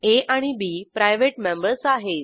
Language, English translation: Marathi, a and b are private members